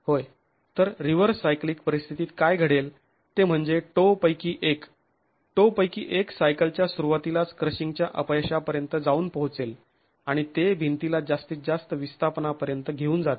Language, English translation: Marathi, Yes, so what typically would happen in a reverse cyclic scenario is that one of the toes would reach crushing failure at the beginning of the at the beginning of a cycle that is taking the wall to the maximum displacement